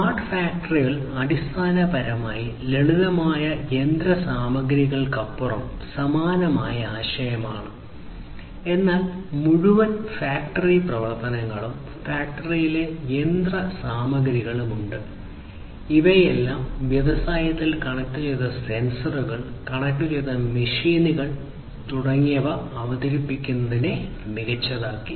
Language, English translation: Malayalam, It is basically similar kind of concept extended beyond simple machinery, but you know having the entire factory operations, machinery in the factory, all of which made smarter with the introduction of connected sensors, connected machines and so on in the industries and so on